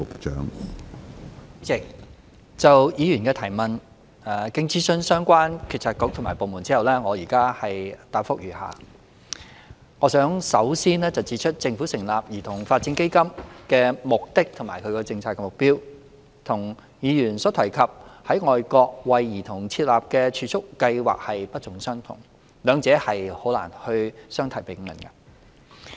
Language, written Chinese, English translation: Cantonese, 主席，就議員的主體質詢，經諮詢相關政策局及部門後，我現在答覆如下：我想首先指出政府成立兒童發展基金的目的及政策目標，與議員提及在外國為兒童設立的儲蓄計劃不盡相同，兩者難以相提並論。, President having consulted the relevant bureaux and departments I provide a reply to the Members main question as follows I wish to point out in the first place that the purpose and policy objectives of the Child Development Fund CDF set up by the Government are different from those of the overseas child savings schemes referred to by the Member . They should not be regarded in the same light